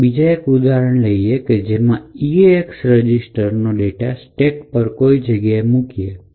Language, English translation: Gujarati, Now let us take another example where we want to load some arbitrary data into the eax register